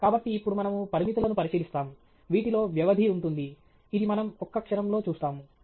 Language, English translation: Telugu, So, now, we will look at constraints, which includes the duration, which we will see in just a moment